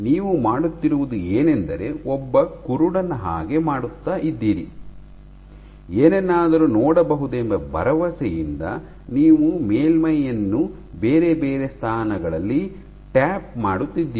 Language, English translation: Kannada, So, what you are doing is like a blind man, you are just tapping the surface at multiple different positions with the hope that something will come up